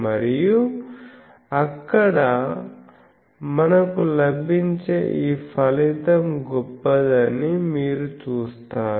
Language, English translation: Telugu, And you will see that this result will be remarkable